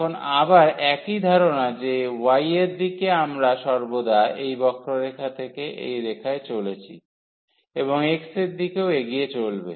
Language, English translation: Bengali, Now again the same idea that in the direction of y we are always moving from this curve to this line and in the direction of x will be moving than